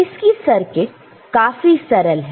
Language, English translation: Hindi, So, then the circuit is simple